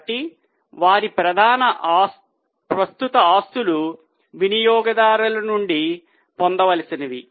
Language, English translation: Telugu, So, their major current assets are the receivables from customers